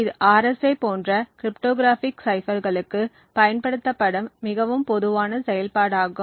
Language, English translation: Tamil, It is a very common operation that is used for cryptographic ciphers like the RSA